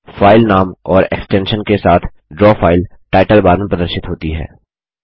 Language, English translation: Hindi, The Draw file with the file name and the extension is displayed in the Title bar